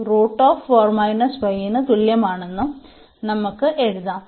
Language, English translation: Malayalam, So, x is 4